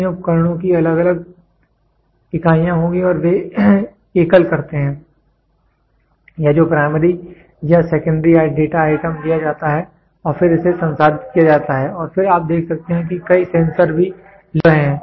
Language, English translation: Hindi, These devices will have varying units and they do single or that is primary or secondary data item is taken and then it is processed and then you can see multiple sensors also getting linked